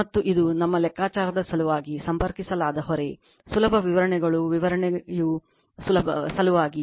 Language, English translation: Kannada, And this is the load connected for the sake of our calculations easy calculations are for the sake of explanation